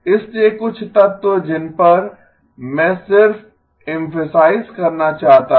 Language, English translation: Hindi, So some elements that I just wanted to emphasize on